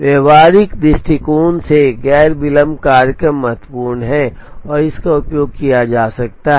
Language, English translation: Hindi, From a practical point of view non delay schedules are important and are used